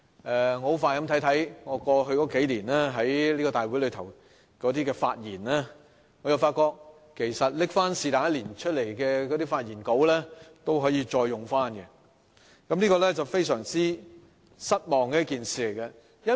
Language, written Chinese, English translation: Cantonese, 我很快地重看了過去數年我在大會上關於施政報告和財政預算案的發言，我發覺隨意拿出任何一年的發言稿都可以重用，這是令人非常失望的事。, After a quick reread of the speeches given by me on policy addresses and budgets in this Council in the past few years I find that I can just randomly pick one of those speeches made in any of those years and reuse it